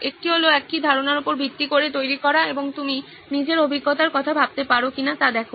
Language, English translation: Bengali, One is to build on the same idea and see if you can think of your own experience